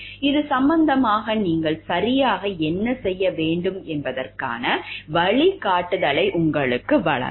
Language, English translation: Tamil, Will give you the guidance of what exactly you need to do, it this regard